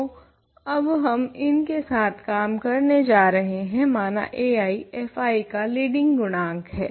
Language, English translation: Hindi, So, we going to work with these now let ai, be the leading coefficient leading coefficient of f i